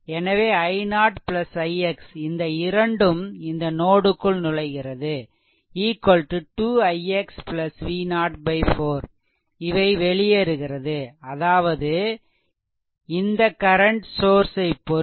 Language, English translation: Tamil, So, if I write here i 0 plus i x these two currents are entering into the node is equal to this 2 i x plus V 0 by 4, these are living as per this current source your first loss